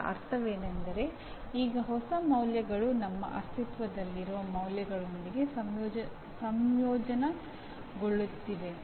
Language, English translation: Kannada, What it means is now the new values are getting integrated with our existing values